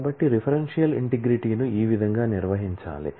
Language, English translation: Telugu, So, this is how the referential integrity has to be handled